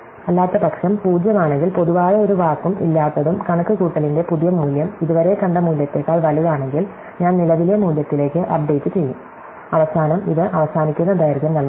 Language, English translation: Malayalam, Otherwise, if 0, because there is no common word and if the new value of computed is bigger than the value as seen so far, then I will update it to the current value and finally, the end this returns length